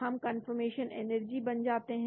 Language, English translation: Hindi, we can get the confirmation energy, confirmation